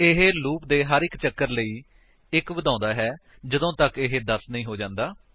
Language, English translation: Punjabi, It keeps increasing by 1, for every iteration of the loop, until it becomes 10